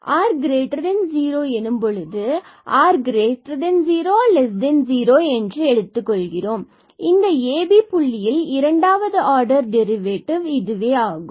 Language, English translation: Tamil, So, r is positive we further assume that r may be negative, r may be positive it is the second order a derivative at this ab points